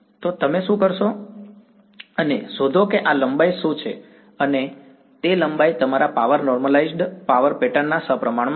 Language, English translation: Gujarati, So, what you do you go and find out what is this length and that length is proportional to your power normalized power pattern right